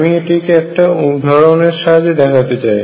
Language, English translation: Bengali, I will illustrate this through an example